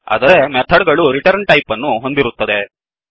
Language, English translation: Kannada, Whereas Method has a return type